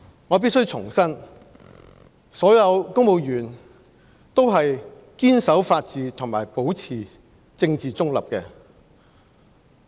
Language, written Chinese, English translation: Cantonese, 我必須重申，所有公務員都是堅守法治和保持政治中立的。, I must reiterate that all civil servants steadfastly uphold the rule of law and maintain political neutrality